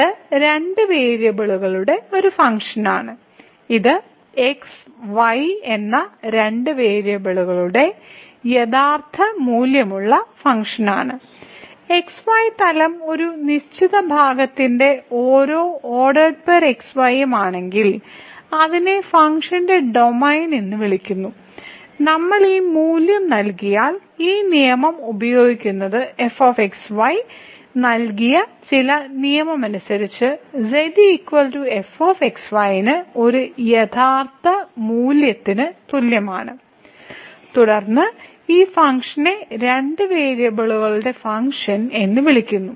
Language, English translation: Malayalam, So, its a function of two variables and this is a real valued function of two variables and if to each of a certain part of x y plane which is called the domain of the function and if we assign this value using this rule is equal to is equal to to a real value according to some given rule ; then, we call this function as a Function of Two Variables